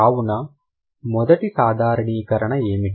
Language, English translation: Telugu, So, what is the first generalization